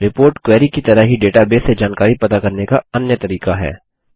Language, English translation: Hindi, A report is another way to retrieve information from a database, similar to a query